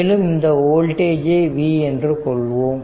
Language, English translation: Tamil, So, now, and total voltage there is v